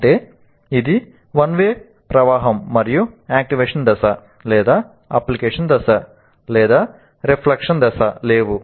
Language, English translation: Telugu, That means it is a one way of flow and there is no activation phase, there is no application phase, there is no reflection phase